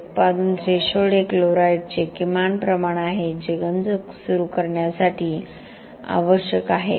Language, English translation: Marathi, Product threshold is the minimum amount of chlorides that are required to initiate corrosion